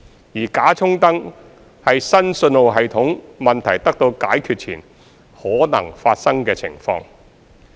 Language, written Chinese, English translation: Cantonese, 而"假衝燈"是新信號系統問題得到解決前可能發生的情況。, The false SPAD is what may happen before the new signalling system issue is resolved